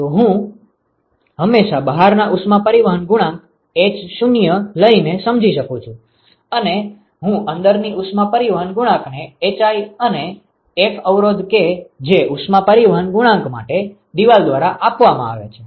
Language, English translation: Gujarati, So, I can always define a an outside heat transport coefficient h0 and I can define an inside heat transport coefficient hi and a resistance that is offered by wall for heat transport coefficient